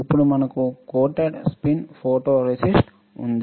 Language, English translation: Telugu, We all know this spin coat photoresist